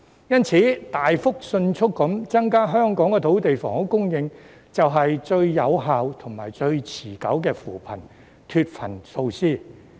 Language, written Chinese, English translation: Cantonese, 因此，大幅及迅速地增加香港的土地及房屋供應，是最有效及最持久的扶貧脫貧措施。, For all these reasons a substantial and rapid increase of Hong Kongs land and housing supply is the most effective and long - lasting measure for alleviating poverty or lifting the poor out of poverty